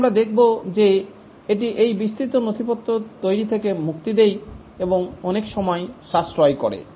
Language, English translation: Bengali, Here we will see that it does away in preparing these elaborate documents and saves lot of time